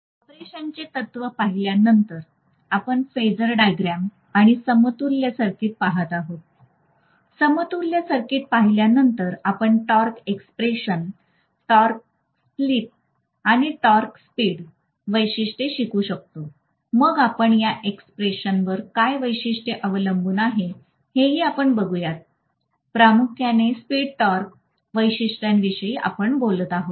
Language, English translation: Marathi, After looking at the principle of operation then we will be looking at phasor diagram and equivalent circuit, after looking at the equivalent circuit we will be able to derive the torque expression, torque slip or torque speed characteristics, then we will be clearly looking at how the characteristics are dependent upon these expressions